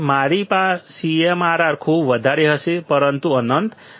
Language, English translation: Gujarati, My CMRR would be very high; but not infinite